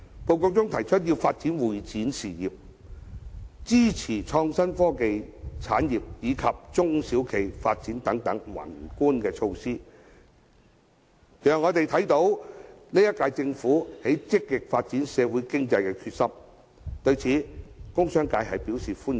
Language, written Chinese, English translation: Cantonese, 報告提出要發展會展業、支持創新及科技產業及中小企發展等宏觀措施，讓我們看到這屆政府積極發展社會經濟的決心，對此工商界表示歡迎。, It mentions the macro measures of developing the CE industry supporting the development of innovation and technology industries and SMEs . The commercial and industrial sectors welcome the incumbent Governments commitment to actively develop our economy